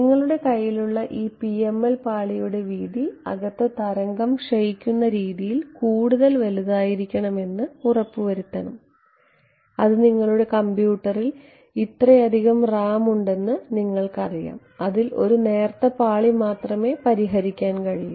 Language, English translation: Malayalam, We have to ensure that the width of this PML layer which is in your hand had better be large enough that the wave decays inside the wave supposing it does not supposing you know you have only so much RAM on your computer and you can only fix you know thin layer